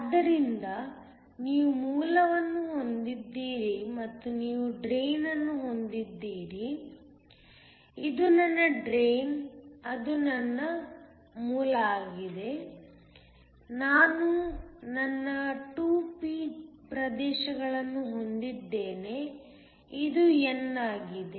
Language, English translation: Kannada, So, you have a source and you have a drain, this my drain, that is my source, I have my 2 p regions this is n